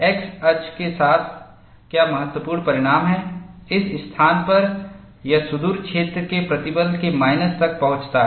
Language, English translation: Hindi, What is the important result is, along the x axis, at this place, it reaches the value of minus of the far field stress